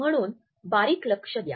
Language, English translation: Marathi, So, pay close attention